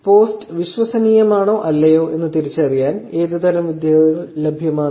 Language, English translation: Malayalam, What kind of techniques are available to actually identify whether the post is credible or not